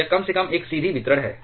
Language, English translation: Hindi, It is more or less a straight line distribution